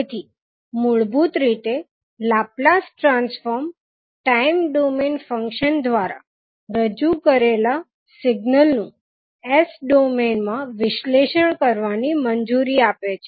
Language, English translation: Gujarati, So, basically the Laplace transform allows a signal represented by a time domain function to be analyzed in the s domain